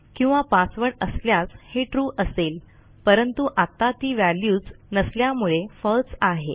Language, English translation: Marathi, or the password is true that is, the value exists at the moment it doesnt, so it is false